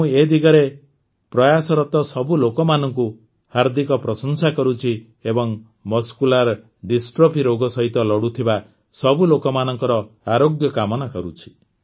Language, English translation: Odia, I heartily appreciate all the people trying in this direction, as well as wish the best for recovery of all the people suffering from Muscular Dystrophy